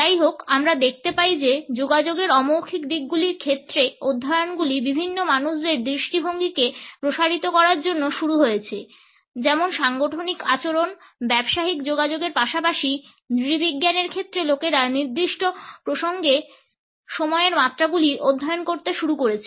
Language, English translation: Bengali, However, we find that as studies in the field of nonverbal aspects of communication is started to broaden their perspective, in the areas of organizational behavior, business communication as well as an anthropology people started to study the dimensions of time in particular contexts